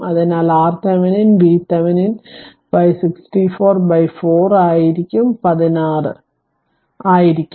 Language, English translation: Malayalam, Therefore, R Thevenin will be V Thevenin by i s c it is 64 by 4 it will be sixteen ohm